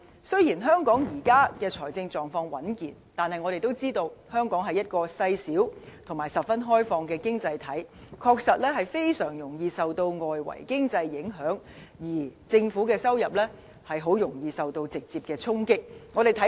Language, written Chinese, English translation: Cantonese, 雖然香港現時的財政狀況穩健，但我們都知道，香港是一個細小而十分開放的經濟體，的確非常容易受外圍經濟影響，而政府收入很容易受到直接衝擊。, Although Hong Kong maintains a healthy financial status at present we all know that Hong Kong as an small and open economy is highly susceptible to external economic environment and government revenue may easily be exposed directly then